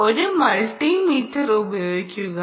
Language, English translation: Malayalam, for that, let us look at this multimeter